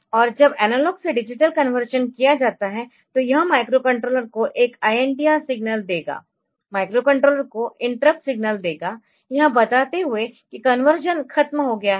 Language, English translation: Hindi, And when the ADC is done so, it will give an INTR signal to the to the microcontroller the interrupt signal to the microcontroller telling that the conversion is over